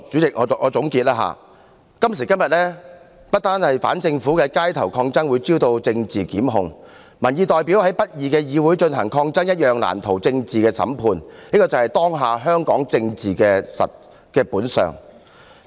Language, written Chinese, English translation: Cantonese, 讓我總結，今時今日，不但反政府的街頭抗爭會招來政治檢控，民意代表在不公義的議會進行抗爭一樣難逃政治審判，這便是當下香港政治的本相。, Please allow me to wrap up . Nowadays not only will anti - government street protests be subject to political prosecution representatives of public opinions cannot escape political trials for undertaking resistance in the unjust Council either . It is the real inner nature of the Hong Kong politics at present